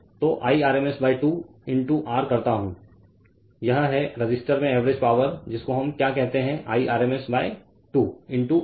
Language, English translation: Hindi, So, Irms square into R this is that your what you call that average power in the resistor that is Irms square into R